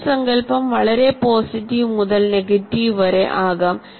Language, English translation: Malayalam, And self concept can be over from very positive to very negative